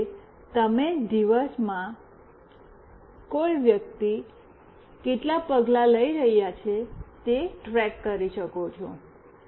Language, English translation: Gujarati, Like you can track the number of steps a person is walking in a day